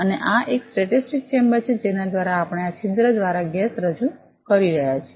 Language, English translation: Gujarati, And this is a static chamber through this one we are introducing the gas through this hole